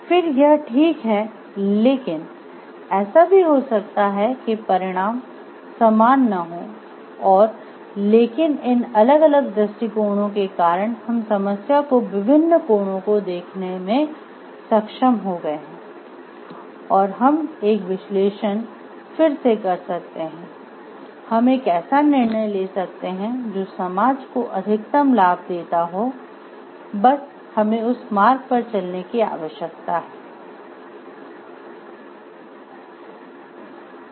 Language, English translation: Hindi, Then it is fine but it may so happen the results may not be same also and but taking these different perspectives we are able to see the different angles of the problem and then may we do again a analysis we may take a decision on like the which is the which is that path, which takes care of the cost or harp and gives us the maximum benefit to the society at large and we need to traverse travel through that path